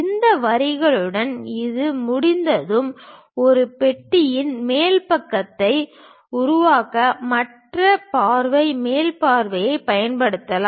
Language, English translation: Tamil, Along with these lines, once it is done we can use the other view top view to construct top side of this box